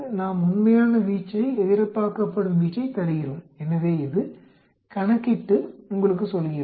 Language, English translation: Tamil, We give the actual range, the expected range so it calculates and tells you